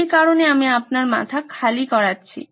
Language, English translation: Bengali, That folks is why I made you empty your head